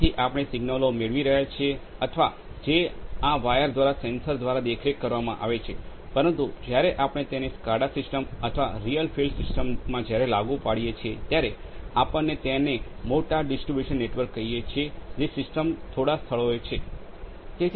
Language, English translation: Gujarati, So, we are getting the signals or which are monitored from the sensors through these wires, but what happens in the real fields these SCADA systems or real field systems when we apply it to the let us say larger distribution network and there are system is actually there in place at few places